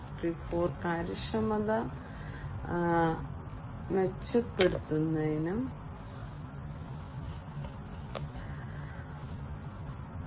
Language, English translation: Malayalam, 0, improving efficiency in the Industry 4